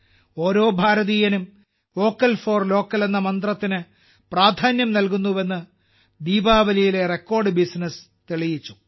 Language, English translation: Malayalam, The record business on Diwali proved that every Indian is giving importance to the mantra of 'Vocal For Local'